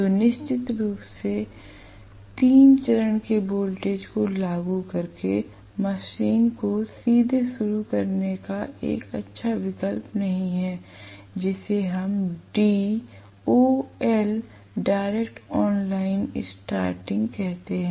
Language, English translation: Hindi, So, it is definitely not a good option to start the machine directly by applying the three phase voltages which we call as DOL, we call that as direct online starting